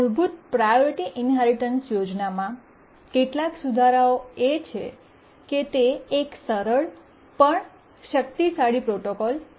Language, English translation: Gujarati, We have seen that the priority inheritance scheme is a simple but powerful protocol